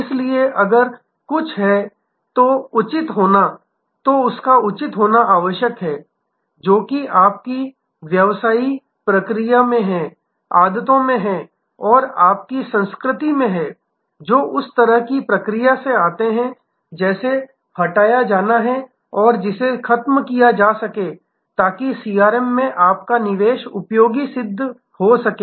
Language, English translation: Hindi, Therefore, to be proper if there is anything; that is in your culture in your business process in the habits and the conventions of your organization, that come in the way that has to be removed that has to be eliminated, so that your investment in CRM is useful